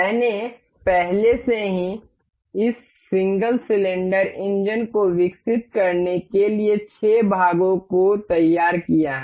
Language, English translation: Hindi, I already have prepared this 6 part to develop this this single cylinder engine